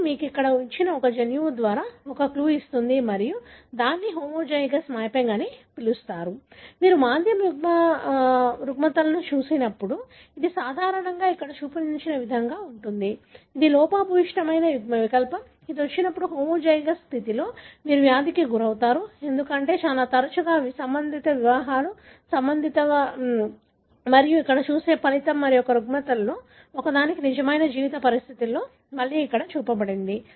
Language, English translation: Telugu, That would give you a clue that a gene could be located here and that is what called as homozygous mapping, when you look at a recessive disorders, because it is normally as is shown here, it is a same defective allele, when it comes in the homozygous condition you end up having the disease, because most, most often these are consanguineous marriages, marriages within related and that is a result you see here and that is again shown here with a real life situation for one of the disorders